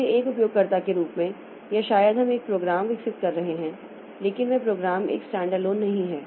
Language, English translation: Hindi, So, as a user, so maybe we develop, I am developing a program, but that program is not a standalone one